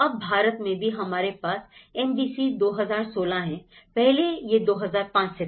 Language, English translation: Hindi, Now, even in India, we have the NBC 2016, earlier it was from 2005